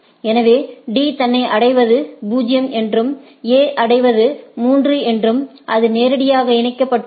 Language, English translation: Tamil, So, D knows that to reach itself is 0, reaching to A is 3, it is directly connected